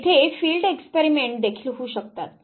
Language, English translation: Marathi, There could be field experiments as well